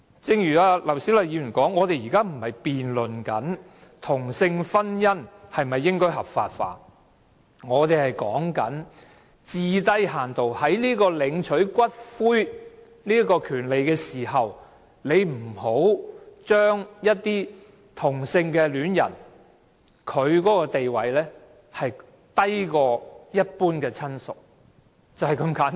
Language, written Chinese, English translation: Cantonese, 正如劉小麗議員所說，我們現在不是辯論同性婚姻應否合法化，而是討論領取骨灰的權利，最低限度不要把同性伴侶的地位降低至低於一般親屬，就是這般簡單。, Just as Dr LAU Siu - lai said we are not debating the legalization of same - sex marriage but the right to claim ashes . At least do not lower the status of same - sex partners to that of average relatives . It is as simple as that